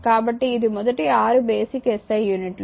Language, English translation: Telugu, So, this is the stat 6 say your basic SI units